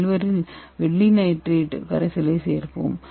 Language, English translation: Tamil, 67 of silver nitrate solution and 1